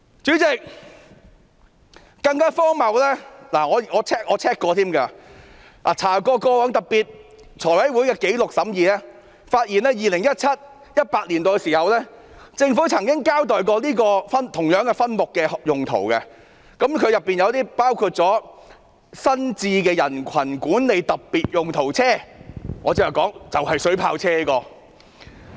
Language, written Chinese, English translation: Cantonese, 主席，更荒謬的是，我翻查財務委員會過往的審議紀錄，發現在 2017-2018 年度，政府曾經交代這個分目的用途，包括新置的人群管理特別用途車，即我剛才說的水炮車。, Am I right? . President I find it even more ridiculous when I check the past record of the deliberation of the Finance Committee . I discover that in 2017 - 2018 the Government did account for the usage of funds under this subhead including the procurement of specialized crowd management vehicles that is the water cannon vehicles which I mentioned earlier